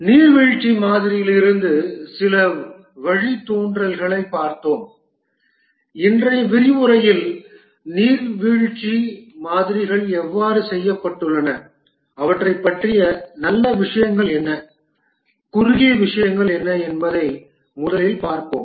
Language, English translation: Tamil, We had looked at some of the derivatives from the waterfall model and in today's lecture we will first see how the waterfall models have done what are the good things about them and what were the shortcomings about them